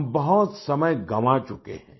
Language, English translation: Hindi, We have already lost a lot of time